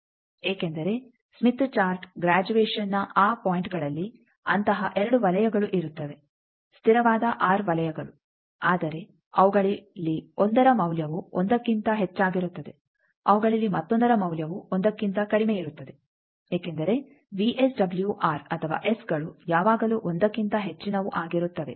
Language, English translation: Kannada, Because in the Smith Chart graduation there will be 2 such circles at those points' constant r circles, but 1 of them will be having value more than 1, another of them will be having value less than 1 because VSWR or s is always greater than one